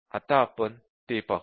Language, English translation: Marathi, Now, let us look at that